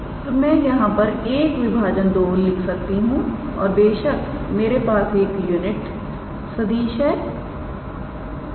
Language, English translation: Hindi, So, I can write 1 by 2 and of course, I have to consider a unit vector